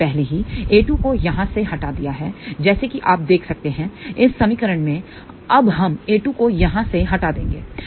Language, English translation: Hindi, So, we want to get b 1 by a 1, we have already removed a 2 from here as you can see from this equation, now we will remove a 2 from here